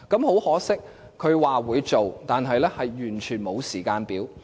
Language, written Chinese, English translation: Cantonese, 很可惜，特首說會做，但卻完全沒有時間表。, Regrettably the Chief Executive said she would do it but there was no timetable